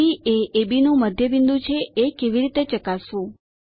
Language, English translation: Gujarati, How to verify C is the midpoint of AB